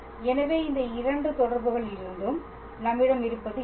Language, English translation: Tamil, So, from both of these 2 relations, what we have is